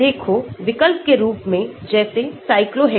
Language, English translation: Hindi, Look, substitutes like cyclohexanes